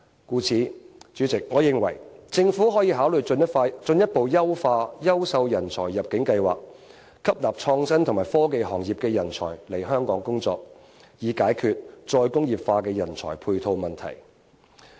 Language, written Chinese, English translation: Cantonese, 故此，代理主席，我認為可以考慮進一步優化優秀人才入境計劃，吸納創新及科技行業的人才來港工作，以解決再工業化的人才配套問題。, Therefore Deputy President I believe we can consider further enhancing the Quality Migrant Admission Scheme to attract talents in the innovation and technology sector to Hong Kong so as to tackle the problem concerning manpower resources for re - industrialization